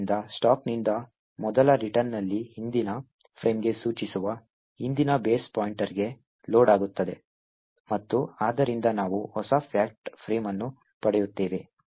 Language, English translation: Kannada, So, on the first return from the stack the previous base pointer which is pointing to the previous frame gets loaded into the base pointer and therefore we would get the new fact frame